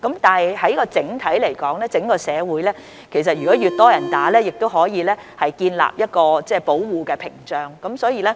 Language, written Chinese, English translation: Cantonese, 不過，整體而言，當整個社會有越來越多市民接種疫苗後，這亦可以建立出保護屏障。, But generally speaking when more and more people have received vaccination in the whole community a protective barrier can be built up